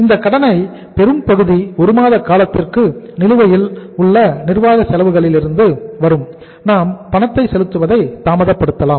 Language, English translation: Tamil, This much of the credit will come for a period of 1 month from the outstanding administrative expenses which we can delay the payment